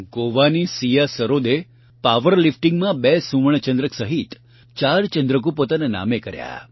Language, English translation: Gujarati, Siya Sarode of Goa won 4 medals including 2 Gold Medals in power lifting